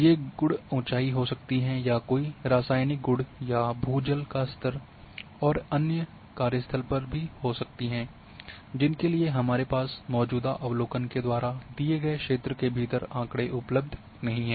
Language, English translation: Hindi, Properties can elevation or chemical properties may be ground water level or water table and other things at unsampled sites for which we do not have any observation or data within the area covered by existing observation